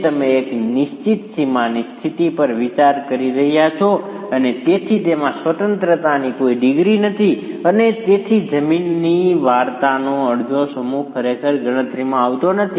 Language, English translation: Gujarati, It is you are considering a fixed boundary condition and therefore that has no degree of freedom and so half the mass of the ground story is really not coming into the calculations